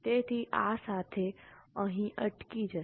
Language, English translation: Gujarati, So, with this we will stop here